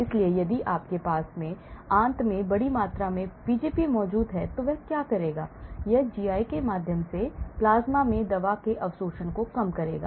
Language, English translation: Hindi, so if you have a large amount of Pgp present in the intestine, so what it will do is; it will reduce the absorption of the drug through the GI to the plasma